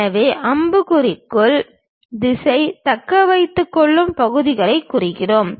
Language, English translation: Tamil, So, the direction of arrow represents the retaining portion